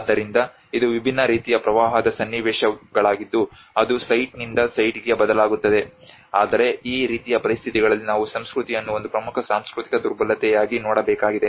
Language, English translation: Kannada, So it is a different sets of impact situations which we considered varies from site to site but in this kind of conditions we need to look at the culture as an important cultural vulnerability